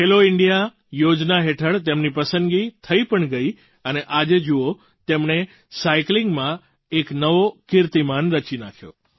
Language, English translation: Gujarati, He was selected under the 'Khelo India' scheme and today you can witness for yourself that he has created a new record in cycling